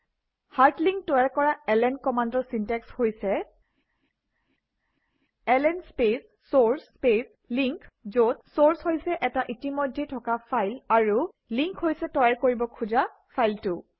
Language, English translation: Assamese, ln is the command to make link The syntax of ln command to create the hard link is ln space source space link where, source is an existing file and link is the file to create